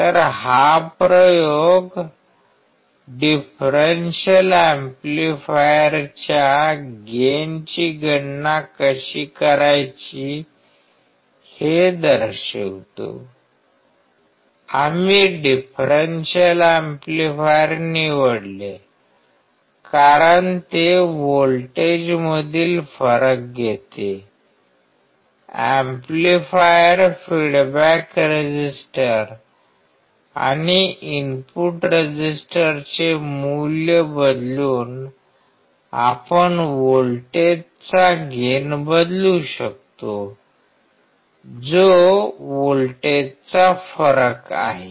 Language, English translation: Marathi, So, this experiment shows how to calculate the gain of a differential amplifier; we chose differential amplifier because it takes a difference of voltages; amplifier because we can change the gain of the voltage that is difference of voltage by changing the value of feedback resistor and the input resistor